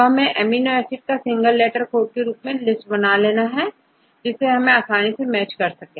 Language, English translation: Hindi, So, we have to list the amino acid residues in single letter code, right this is because then only, we can easily match ok